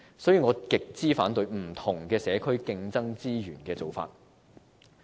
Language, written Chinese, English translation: Cantonese, 因此，我極為反對不同社區競爭資源的做法。, For this reason I strongly oppose the practice of competing for resources among various communities